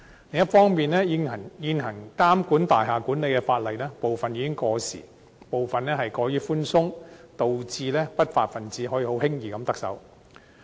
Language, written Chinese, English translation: Cantonese, 另一方面，監管大廈管理的現行法例部分已經過時，也過於寬鬆，導致不法分子可以輕易地得逞。, Besides some of the existing laws regulating building management are already obsolete or not stringent enough thus enabling unruly elements to succeed without much difficulty